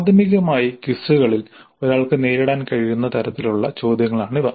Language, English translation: Malayalam, So, primarily this would be the type of questions that one could encounter in quizzes